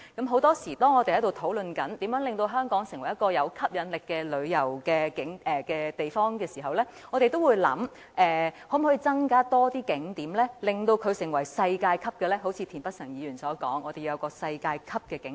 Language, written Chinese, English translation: Cantonese, 很多時候，當我們討論如何能令香港成為一個具吸引力的旅遊目的地時，我們都會考慮可否增加更多景點，並使其成為世界級；一如田北辰議員所說，我們要打造世界級景點。, Very often when we discuss how to make Hong Kong an attractive tourist destination we will consider whether we can provide more tourist attractions and make them world - class; as mentioned by Mr Michael TIEN we should develop world - class tourist attractions